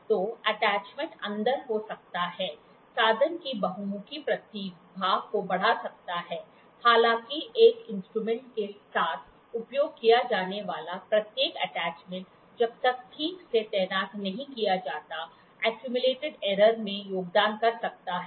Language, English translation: Hindi, So, the attachment can be in, can enhance the versatility of the instrument; however, every attachment used along with an instrument unless properly deployed may contribute to accumulated error